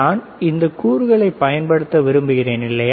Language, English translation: Tamil, If I want to use these components, right